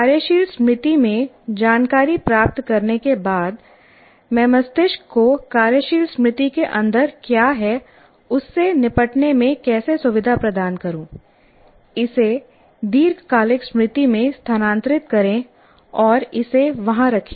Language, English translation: Hindi, Now having got the information into the working memory, how do I facilitate the brain in dealing with what is inside the working memory and transfer it to long term memory and keep it there